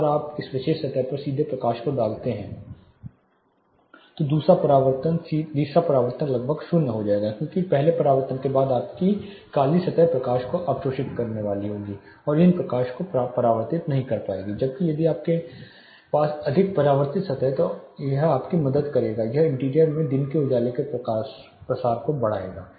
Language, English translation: Hindi, Once you have a direct light hitting a particular surface the second reflection, third reflection will be almost nullified because after the first reflection your black surfaces are going to absorb not much reflect these light, whereas if you have more reflecting surfaces it will help you or it will enhance the throw of daylight for into the interior